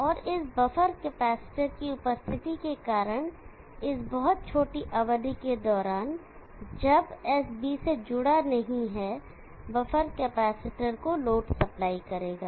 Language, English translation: Hindi, And because of this present of this buffer capacitor, during this very small duration when S is not connected to B the buffer capacitor will supply to load